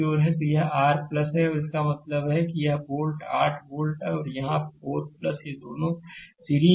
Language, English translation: Hindi, So, this is your plus minus and that means this volt 8 volt and this 4 ohm, these two are in series